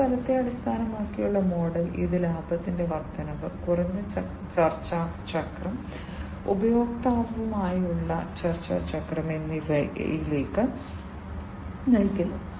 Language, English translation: Malayalam, These outcome based model, it leads to increased profit margin, reduced negotiation cycle, negotiation cycle with the customer